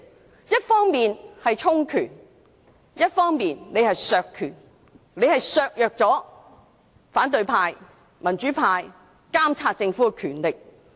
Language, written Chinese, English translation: Cantonese, 他們一方面是充權，另一方面是削權，他們削弱了反對派、民主派監察政府的權力。, While they have enhanced their powers our powers have been weakened . They have weakened the powers of opposition and democratic Members in monitoring the Government